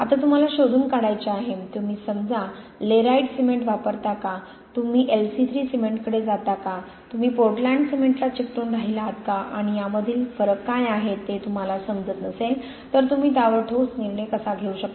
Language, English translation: Marathi, Now you got to trace of , do you use suppose a Layrite cement, do you move towards LC3 cement, do you stick with Portland cement and how can you possibly make a firm decision on that if you do not understand what the differences are between these different materials